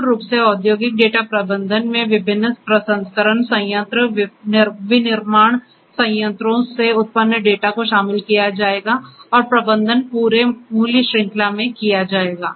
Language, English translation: Hindi, Incorporating industrial data management basically will incorporate data that is generated from different processing plant manufacturing plants and so on and the management is done in the entire value chain